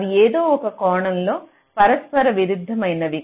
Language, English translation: Telugu, they are mutually conflicting in some sense